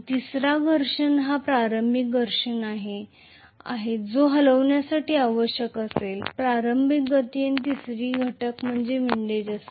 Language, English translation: Marathi, The third static friction is the initial frictional component which will be required to move, give the initial momentum and the third component is windage